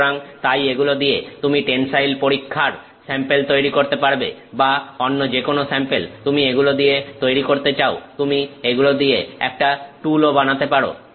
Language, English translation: Bengali, So, you can make say tensile test samples with this or any other sample that you want to make out of it, you can even make a tool out of it